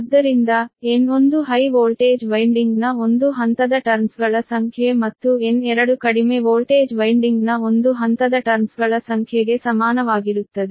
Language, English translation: Kannada, so n one is the number of turns on one phase of high voltage winding and n two is equal to number of turns on one phase of low voltage winding right